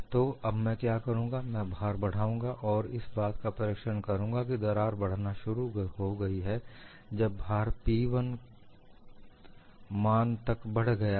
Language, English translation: Hindi, So, what I will do now is, I will increase the load and observe the crack has started to advance when the load has increased to a value P1, and it has moved by a distance d v